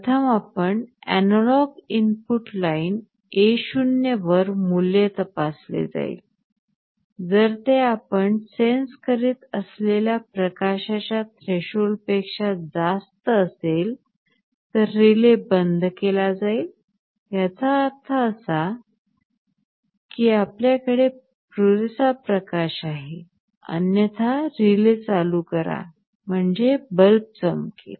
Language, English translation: Marathi, The steps as shown here will be running in a repetitive loop First we will have to check the value on the analog input line A0, if it exceeds the threshold level for the light that we are trying to sense you turn off the relay; that means, you have sufficient light otherwise turn on the relay; that means, the bulb will glow